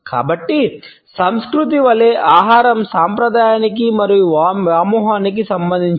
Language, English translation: Telugu, So, food as culture is related to tradition and nostalgia